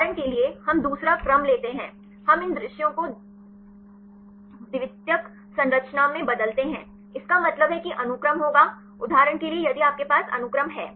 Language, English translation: Hindi, For example, we take second sequence; we change these sequences into secondary structure; that means the sequence will be; for example, if you have the sequence